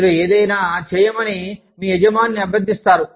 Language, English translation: Telugu, you request your boss, to do something